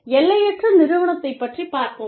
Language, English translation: Tamil, The boundaryless organization